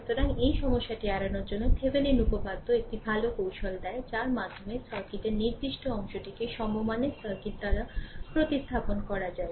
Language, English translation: Bengali, So, to a avoid this problem Thevenin’s theorem gives a good technique by which fixed part of the circuit can be replaced by an equivalent circuit right